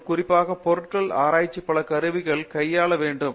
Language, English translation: Tamil, And, also particularly materials research needs handling a number of instruments